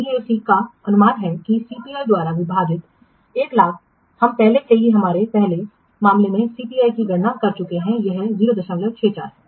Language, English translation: Hindi, So what is the BAC value BAC is estimated to be 1 lakh divided by CPI we have already computed CPI in our earlier case it is 0